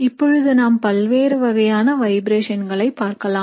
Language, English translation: Tamil, So now let us look at the different modes of vibration